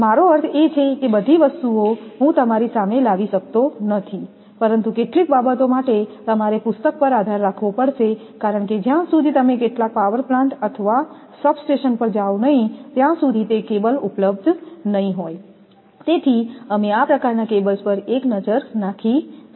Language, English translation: Gujarati, So, different types of I mean all the things not may not be available in front of you, but certain things we have to rely on the books because unless and until you go to some power plant or substation if those cables are available you can have a look on this kind of cables